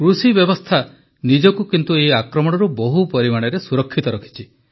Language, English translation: Odia, The agricultural sector protected itself from this attack to a great extent